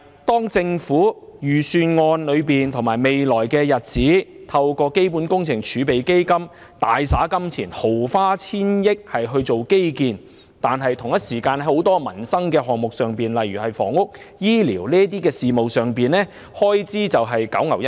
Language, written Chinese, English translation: Cantonese, 當預算案計劃在未來透過基本工程儲備基金大灑金錢、毫花千億元於基建的同時，很多民生項目，例如房屋和醫療等開支卻是九牛一毛。, The Budget on the one hand plans to dish out hundreds of billions of dollars from the Capital Works Reserve Fund on infrastructure while on the other is being miserly in spending on items affecting peoples livelihood such as housing and health care